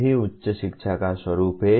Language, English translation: Hindi, That is the nature of higher education